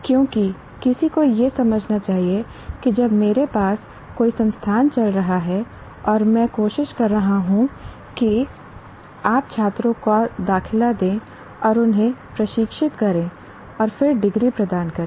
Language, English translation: Hindi, Because one should understand when I'm run, when I have an institution running and I'm trying to get what do you call enrolled students and train them and then award a degree